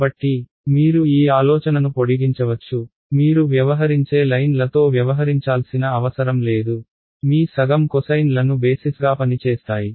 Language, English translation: Telugu, So, you can extend this idea you dont have to deal with lines you can deal with you know half cosines these can be your basis function